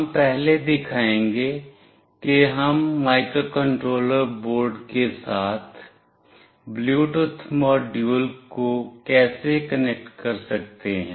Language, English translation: Hindi, We will first show how we can connect a Bluetooth module with the microcontroller board